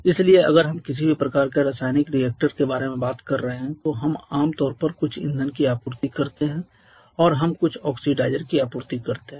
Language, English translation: Hindi, So, if we are talking about any kind of chemical reactor if we are talking about a chemical reactor then we generally supply some fuel and we supply some oxidizer